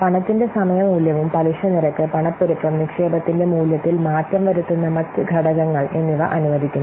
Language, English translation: Malayalam, Also the time value of money, it allows for interest rates, inflation and other factors that might alter the value of the investment